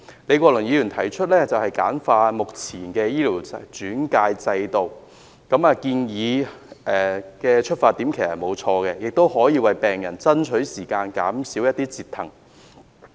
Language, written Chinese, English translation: Cantonese, 李國麟議員提出簡化現行的醫療轉介制度，他的出發點其實沒有錯，亦可以為病人爭取時間，減少折騰。, Prof Joseph LEE proposed to streamline the existing referral system . There is nothing wrong with his intent behind this proposal for it can help buy the patients some time and minimize their ordeals